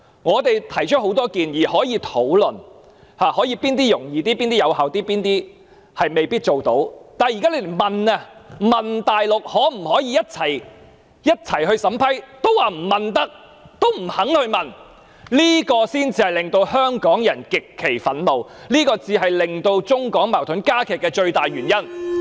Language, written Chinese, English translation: Cantonese, 我們提出很多建議，大家可以討論哪些措施比較更容易、更有效做到，或哪些措施未必做得到，但現在只是詢問大陸當局可否一起審批單程證，特區政府卻說未能詢問，也不願意去問，這才令香港人極憤怒、令中港矛盾加劇的最大原因。, We have put forward a lot of proposals and we can discuss which measures are easier to be implemented and more effective or which measures may not be feasible . But for our proposal of asking the Mainland Government whether Hong Kong can be involved in the vetting and approval of OWP applications the SAR Government says that it is unable to ask and is unwilling to ask . That is why Hong Kong people are so angry and is also the biggest reason for the intensification of conflicts between China and Hong Kong